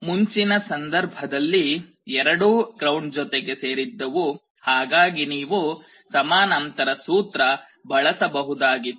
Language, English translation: Kannada, In the earlier cases both were connected to ground, that is why you could use the parallel combination formula